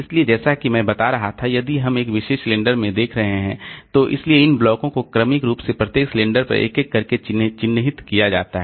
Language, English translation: Hindi, So, as I was telling, so looking into a particular cylinder, so these blocks are marked sequentially one by one on each cylinder